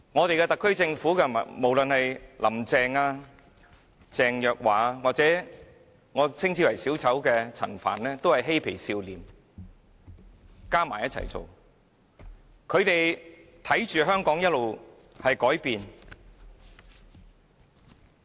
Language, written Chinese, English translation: Cantonese, 特區政府的官員，無論是"林鄭"、鄭若驊或我稱之為小丑的陳帆，全也是"嬉皮笑臉"一起行事，看着香港一直在改變。, All the officials in the SAR Government be it Carrie LAM Teresa CHENG or Frank CHAN whom I call a clown have acted together with oily smiles watching Hong Kong change all the way